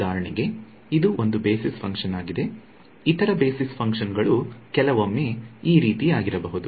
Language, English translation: Kannada, So for example, this is one basis function the other basis function can be sometimes like this and so on